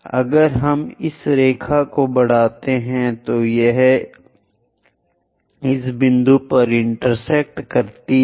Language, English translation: Hindi, So, if we are extending these lines, it is going to intersect at this point